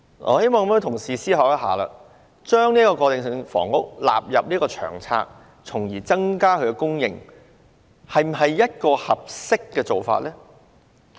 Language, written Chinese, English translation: Cantonese, 我希望各位同事想一想，把過渡性房屋納入《長策》從而增加供應，是否一個合適做法呢？, I hope my colleagues will think about whether including transitional housing in LTHS to increase supply is an appropriate approach